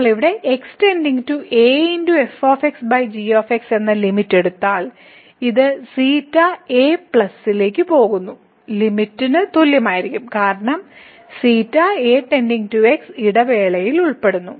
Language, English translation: Malayalam, So, if we take the limit here goes to a over and then this will be equal to the limit goes to a plus because the belongs to the interval to